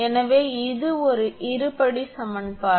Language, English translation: Tamil, Therefore, it is a quadratic equation